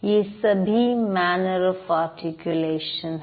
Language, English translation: Hindi, These are the manner of articulation